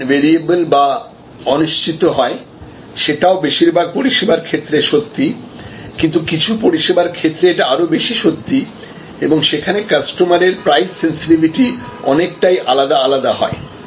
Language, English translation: Bengali, Variable an uncertain demand, which is also true for many services, but in some services, it is truer and there is varying customer price sensitivity